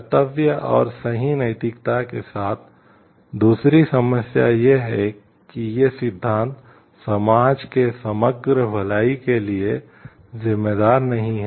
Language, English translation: Hindi, The second problem with duty and right ethics is that these theories do not account for the overall good of the society very well